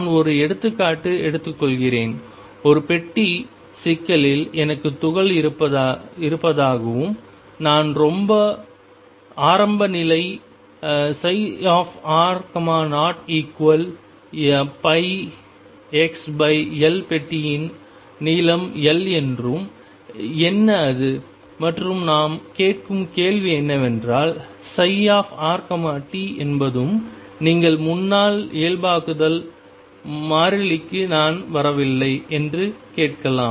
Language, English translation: Tamil, Let me take an example, suppose I have particle in a box problem and the initial state I prepare psi r 0 is given as sin cubed pi x over L the length of the box is L, what is and the question we ask is what is psi r t you may ask I am not attend the normalization constant in front